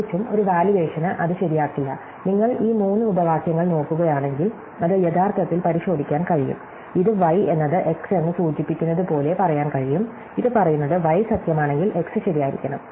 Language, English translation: Malayalam, And in particular no valuation will actually make it true and that can actually be checked if you look at these three clauses, this can be said as that y implies x, what this says is that if y is true, then x must be true